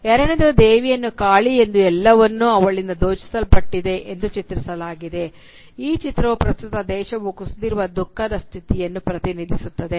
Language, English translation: Kannada, The second depicting her as Kali, who “has been robbed of everything”, represents the state of misery which the country has fallen into in the present